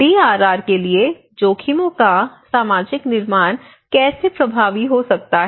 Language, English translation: Hindi, How can the social construction of risks be effective for DRR